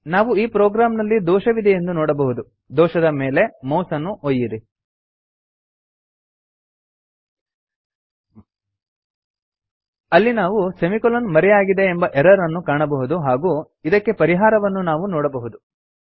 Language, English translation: Kannada, In this program we can see there is an error and mouse hover on the error We can see that the error says semi colon missing and the solution to resolve the error is also shown